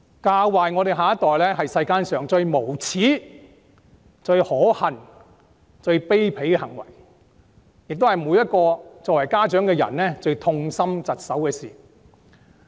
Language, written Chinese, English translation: Cantonese, 教壞下一代，是世間上最無耻、最可恨、最卑鄙的行為，亦是家長最痛心疾首的事。, Making a bad influence on the next generation is the most shameless abominable and despicable behaviour in the world as well as the thing that distresses and disgusts parents the most